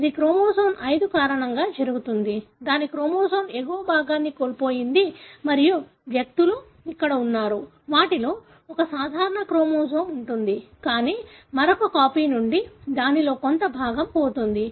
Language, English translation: Telugu, It happens because of chromosome 5, lost the upper portion of its chromosome and individuals are like here; they have one normal chromosome, but from the other copy, a part of it is lost